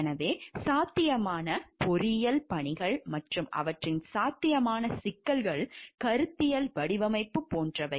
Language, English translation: Tamil, So, like what are the possible engineering tasks and their possible problems are like conceptual design